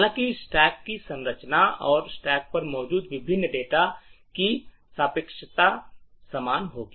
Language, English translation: Hindi, However the structure of the stack and the relativeness of the various data are present on the stack would be identical